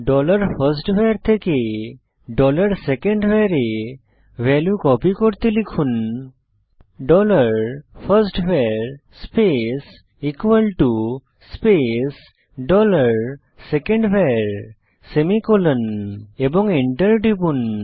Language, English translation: Bengali, To copy the value of variable dollar firstVar to dollar secondVar, type dollar firstVar space equal to space dollar secondVar semicolon and press Enter